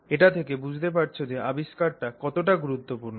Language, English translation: Bengali, So, that tells you how important this is